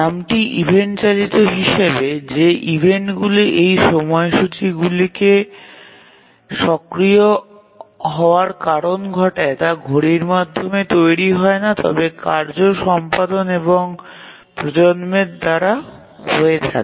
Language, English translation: Bengali, As the name says event driven, the events that are that cause this scheduler to become active are not generated by the clock but by the completion and generation of tasks